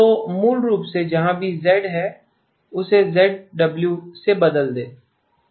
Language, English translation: Hindi, So basically wherever there is Z replace it with ZW